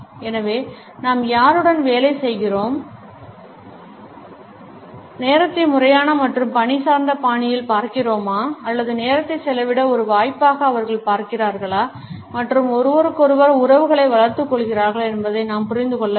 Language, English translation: Tamil, So, we have to understand whether the people with whom we work, look at time in a formal and task oriented fashion or do they look at time as an opportunity to a spend time and develop interpersonal relationships